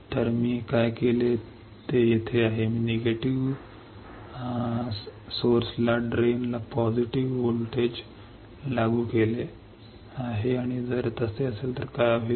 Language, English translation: Marathi, I have applied positive voltage to the drain positive to drain negative to source right and if that is the case what will happen